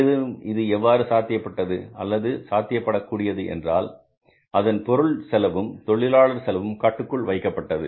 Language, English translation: Tamil, And this all has been possible or would be possible if you control the material cost and the labour cost